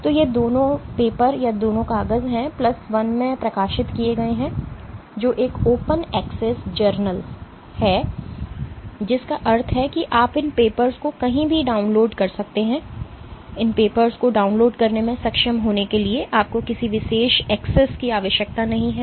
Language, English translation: Hindi, So, both these papers are in; have been published in plus one which is an open access journal which means that you can download these papers anywhere you do not need any special access to be able to download these papers